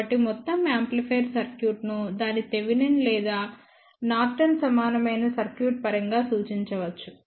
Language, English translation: Telugu, So, the entire amplifier circuit can be represented in terms of its Thevenin equivalent or Norton equivalent